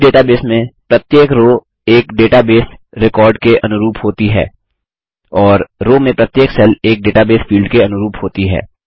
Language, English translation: Hindi, Each row in this database range corresponds to a database record and Each cell in a row corresponds to a database field